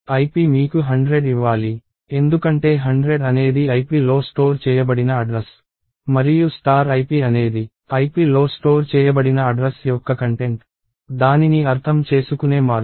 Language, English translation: Telugu, Ip should give you 100; because 100 is the address stored in ip and star ip is the content of the address that is stored in ip that is the way to interpret it